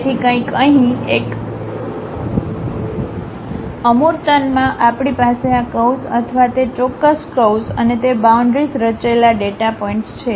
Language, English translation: Gujarati, So, something like here, in a abstractions we have this curve or the data points on that particular curve and those forming boundaries